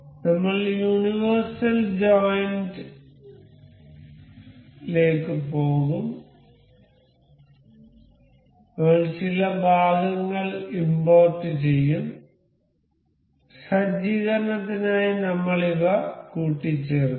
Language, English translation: Malayalam, We will go to universal joint we will import some parts, I will just assemble this these for setup just click